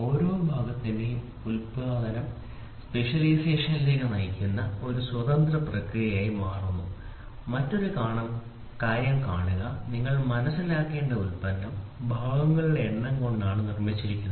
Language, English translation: Malayalam, So, that the production of each part becomes an independent process leading to specialization, see another thing you should also understand product is made of number of parts product is made out of number of parts